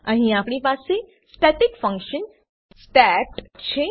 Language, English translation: Gujarati, Here we have a static function stat